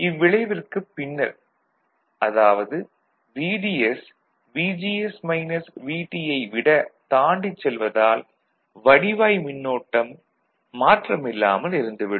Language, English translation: Tamil, At that time, because of the pinch off effect beyond that, VDS is going beyond VGS minus VT, the ID, the current the drain current will remain constant